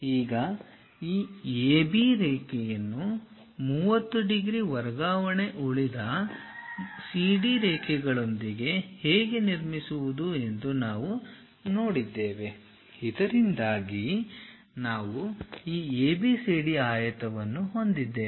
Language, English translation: Kannada, Now, construct the parallelogram or the rhombus on the frontal view we have seen how to construct this AB line with a 30 degrees transfer remaining CD lines also so that we have this ABCD rectangle